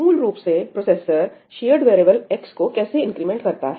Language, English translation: Hindi, How does a processor typically increment a shared variable